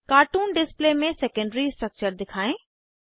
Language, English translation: Hindi, * Show secondary structure in cartoon display